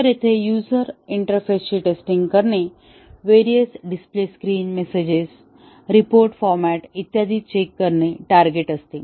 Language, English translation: Marathi, So, here the target is to test the user interface; various display screens, messages, report formats and so on